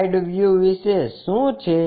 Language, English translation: Gujarati, What about side view